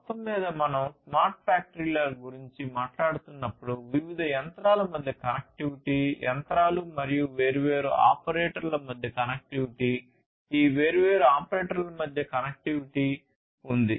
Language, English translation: Telugu, Overall, when we are talking about smart factories there is lot of connectivity; connectivity between different machines, connectivity between machines and the different operators, connectivity between these different operators